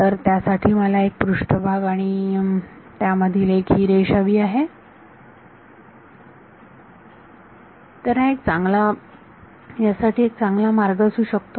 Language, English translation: Marathi, So, for that I need a surface and a line enclosing it, so what might be good way to do this